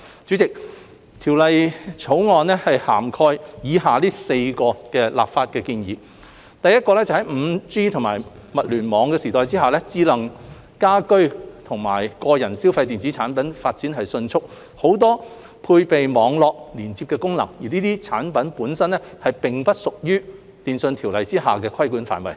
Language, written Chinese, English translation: Cantonese, 主席，《條例草案》涵蓋以下的4項立法建議：第一，在 5G 及物聯網時代下，智能家居及個人消費電子產品發展迅速，很多配備網絡連接功能，但這些產品本身並不屬於《電訊條例》下的規管範圍。, President the Bill covers the following four legislative proposals First in the 5G and IoT era smart household and personal electronic devices are developing rapidly and many of them are equipped with Internet connection functions but they do not fall within the scope of regulation under the Telecommunications Ordinance TO